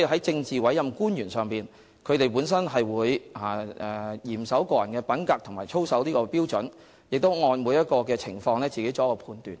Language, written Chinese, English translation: Cantonese, 政治委任官員本身會嚴守個人品格和操守的標準，並會按個別情況自行作出判斷。, PAOs themselves will strictly observe the standards of personal conduct and integrity and will make their own judgments having regard to individual circumstances